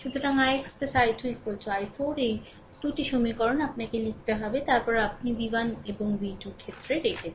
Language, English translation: Bengali, So, it is i x plus i 2 is equal to i 4 these 2 equations you have to write to after that you put in terms of v 1 and v 2